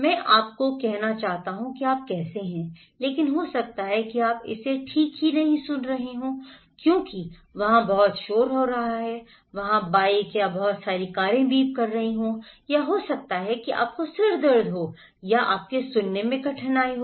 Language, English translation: Hindi, I want to say you how are you but maybe you are not listening it properly because there are a lot of noises there, the bikes there or a lot of the cars are beeping or maybe you have headache or you have difficulty in hearing